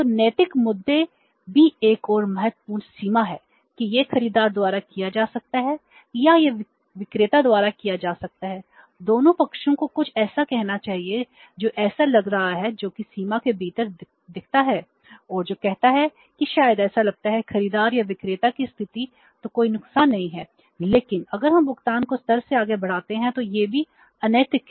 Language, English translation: Hindi, So, ethical issue is also another important limitation that it may be done by the buyer or it may be done by the seller both the sides should say act something which is which looks decent which looks within the limits and which looks say maybe as per the status of the buyer or the seller then there is no harm but if we stretch the payment beyond the level then it is unethical also so this is the second major limitation third is disturbance of the symbiosis